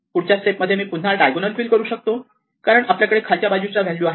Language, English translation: Marathi, In the next step, I can fill up this diagonal, because I have all the values to left below